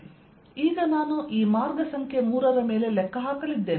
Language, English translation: Kannada, now i am going to calculate over this path number three